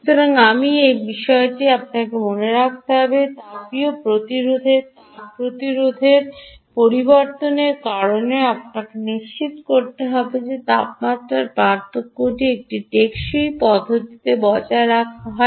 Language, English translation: Bengali, you must bear this in mind that ah, because of thermal resistance, change in thermal resistance, you will have to ensure that this temperature differential is maintained, ah in a sustained manner